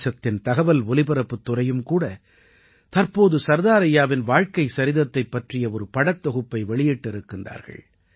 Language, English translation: Tamil, The Information and Broadcasting Ministry of the country has recently published a pictorial biography of Sardar Saheb too